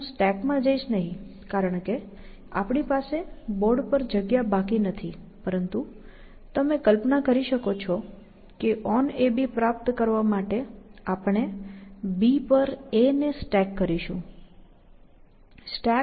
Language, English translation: Gujarati, So, I will not go into the stack, because we do not have a space left on the board, but you can imagine that to achieve on a b, we will do the same thing; stack a on b